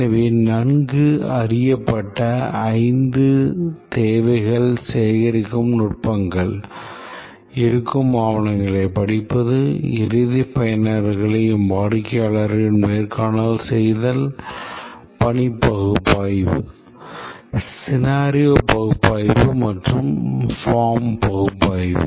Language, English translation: Tamil, So, five well known requirements gathering techniques, studying existing documentation, interviewing the end users and the customer, task analysis, scenario analysis and form analysis